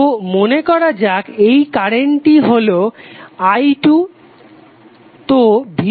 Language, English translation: Bengali, So it will become say this current is now i2, so V2 would be i2 into R